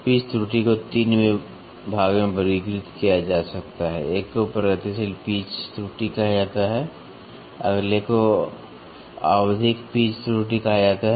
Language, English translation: Hindi, The pitch error can be classified into 3; one is called as progressive pitch error, next is called as periodic pitch error